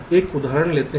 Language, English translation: Hindi, now lets take an example